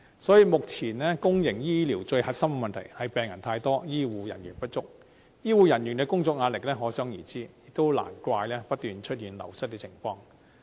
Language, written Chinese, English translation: Cantonese, 所以，目前公營醫療最核心的問題是病人太多，醫護人員不足，醫護人員的工作壓力可想而知，亦難怪不斷出現流失情況。, Therefore the core problem currently faced by the public healthcare sector is having too many patients and inadequate healthcare personnel . The work pressure faced by healthcare personnel is thus evident . No wonder there has been constant staff wastage